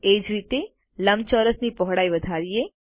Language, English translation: Gujarati, In a similar manner lets increase the width of this rectangle